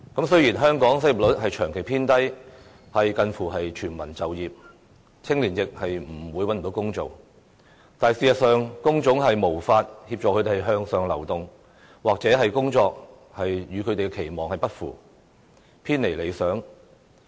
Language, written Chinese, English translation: Cantonese, 雖然香港失業率長期偏低，近乎全民就業，青年亦不會找不到工作，但事實上，工種卻無法協助他們向上流動，又或者工作與他們的期望不符，偏離理想。, The unemployment rate of Hong Kong has persistently remained at a very low level that brings us very close to the state of full employment and young people will not find themselves jobless . But the point is that the kinds of jobs available to them are unable to assist them in upward mobility or the jobs are simply not the ideal ones they look forward to